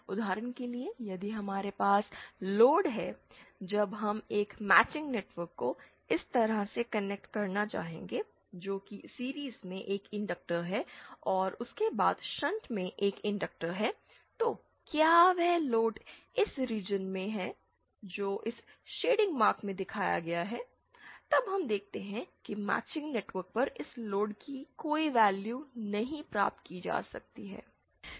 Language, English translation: Hindi, For example, if we have, if we have a load when we would like to connect a matching network like this that is an inductor in series and an inductor in shunt after that, then is that load is in this region shown by this shading mark, then we see that no value of this load can be obtained on matching network